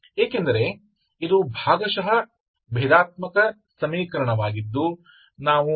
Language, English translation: Kannada, This is a ordinary differential equation type, ok